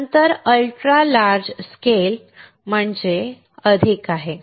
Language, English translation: Marathi, Then there is the ultra large scale more